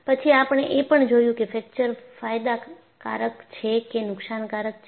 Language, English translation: Gujarati, Then, we also looked at whether fracture is a bane or a boon